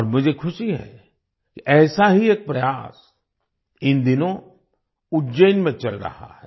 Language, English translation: Hindi, And I am happy that one such effort is going on in Ujjain these days